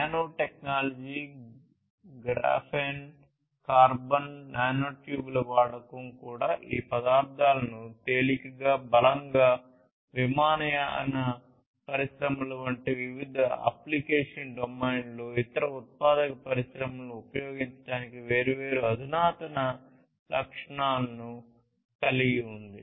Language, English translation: Telugu, Use of nanotechnology, Graphene, carbon, nanotubes these are also making these materials lighter, stronger having different advanced properties for being used in different application domains such as aviation industries, for different other manufacturing industries and so on